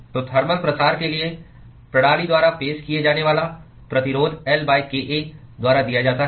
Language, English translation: Hindi, So,the resistance that is offered by the system for thermal diffusion is given by L by kA